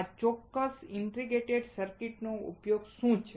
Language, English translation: Gujarati, What is the use of this particular integrated circuit